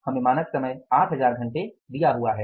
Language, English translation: Hindi, We are given the standard time is 8,000 hours